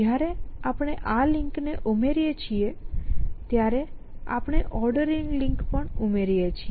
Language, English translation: Gujarati, The moment we add this link we also added ordering link essentially